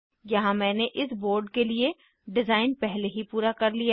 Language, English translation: Hindi, I have already completed the design for this board here